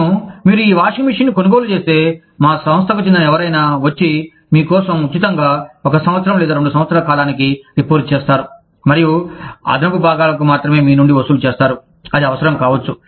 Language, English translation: Telugu, I will, if you buy this washing machine, you will, somebody from our organization, will come and repair it for you, free of cost, for a period of one year, or two years, and will only charge you for the additional parts, that may be required